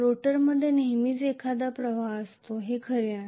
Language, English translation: Marathi, There is always a current in the rotor it is not true